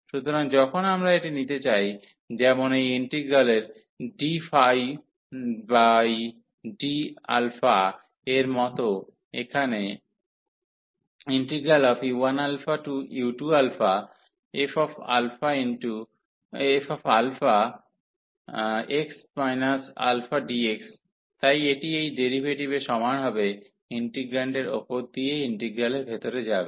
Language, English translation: Bengali, So, when we want to take this, like d over d alpha of this integral here u 1 to u 2 of this f x alpha dx, so this will be equal to the this derivative will go inside the integral so over the integrand